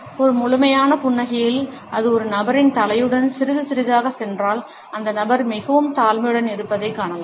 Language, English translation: Tamil, In a full blown smile, if it is accompanied by a person’s head going slightly in we find that the person is feeling rather humble